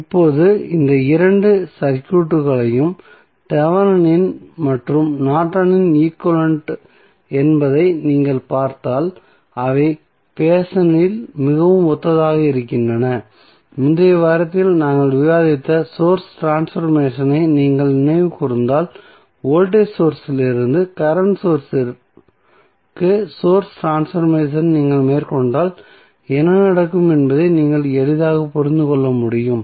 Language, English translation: Tamil, Now, if you see this these two circuits that is Thevenin and Norton's equivalent they looks very similar in the fashion that if you recollect the source transformation what we discussed in previous week so you can easily understand that if you carry out the source transformation from voltage source to current source what will happen